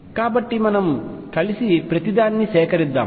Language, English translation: Telugu, So, let us collect everything together